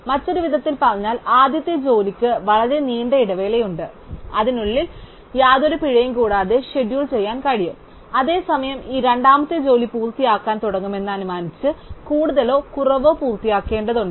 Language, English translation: Malayalam, In other words, the first job has a very long gap within which it can be scheduled without any penalty, whereas this second job has to finish more or less assuming it starts initially